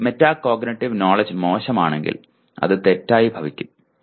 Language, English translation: Malayalam, If his metacognitive knowledge is poor it will turn out to be wrong